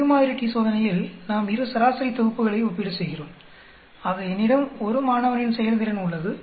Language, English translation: Tamil, In Two sample t Test we compare 2 sets of means, so I have a performance of a 1 student, I have a performance of another student then I am comparing these 2